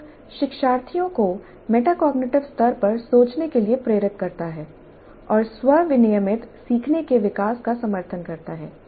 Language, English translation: Hindi, Promps learners to think at metacognitive level and supports the development of self regulated learning